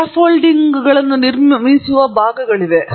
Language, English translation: Kannada, And there are also parts for which the scaffolding is being built